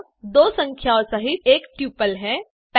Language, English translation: Hindi, It is a tuple containing two numbers